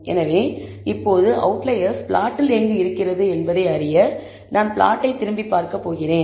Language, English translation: Tamil, So, now, to know where your outliers lie on the plot, I am going to look at the plot